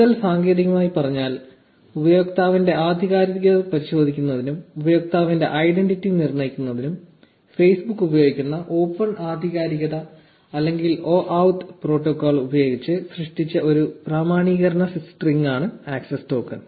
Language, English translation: Malayalam, In more technical terms, the access token is an authentication string generated using the open authentication or OAuth protocol which Facebook uses to verify the authenticity of the user and determine the user's identity